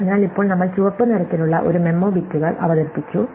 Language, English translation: Malayalam, So, now we have introduced a memo bits which are the red ones